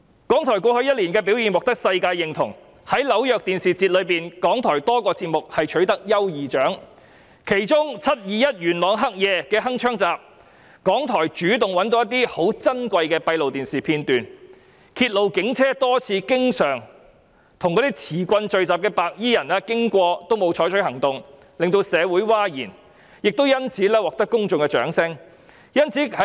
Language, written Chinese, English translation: Cantonese, 港台過去一年的表現獲得世界認同，在紐約電視節中，港台有多個節目取得優異獎，當中的"鏗鏘集 ：721 元朗黑夜"，港台覓得珍貴的閉路電視片段，揭露警車即使多次巡經手持棍棒聚集的白衣人也沒有採取行動，令社會譁然，因此獲得公眾的掌聲。, In the New York Festivals RTHK was awarded the Finalist Certificate for its various programmes . One of the programmes is Hong Kong Connect 721 Yuen Long Nightmare . RTHK obtained some precious closed - circuit television footages revealing how the Police remained aloof during the few times when they drove a police patrol car past a number of assembled white - shirt gangsters with rods and poles in their hands very much to the bewilderment of the community